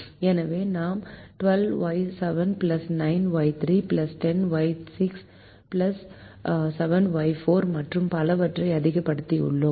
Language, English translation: Tamil, so we have maximized twelve, y seven plus nine, y three plus ten, y six plus seven, y five and so on